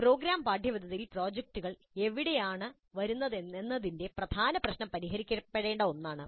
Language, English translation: Malayalam, And the key issue of where do the projects come in the program curriculum is something which needs to be resolved